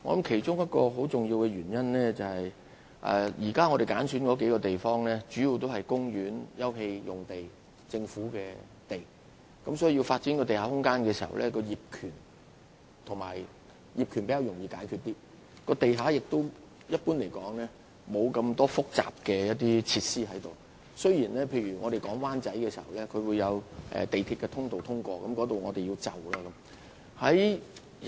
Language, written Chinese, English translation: Cantonese, 其中一個很重要的原因是現時所揀選的數個地區，主要是涉及公園/休憩用地及政府用地，如要發展地下空間，業權問題會較容易解決，而且一般而言，地下亦沒有太多複雜設施，儘管在討論灣仔的相關發展時發現涉及港鐵的通道，需要作出遷就。, A very important reason is that in the existing selected areas the sites involved are mainly parksopen space and government land thus making it easier to resolve the ownership problem if we decide to develop underground space there . Moreover generally speaking there are not many complicated underground facilities in the sites involved though it has been discovered during the discussion of the development plan for Wan Chai that MTR facilities would be involved and some adjustments might have to be made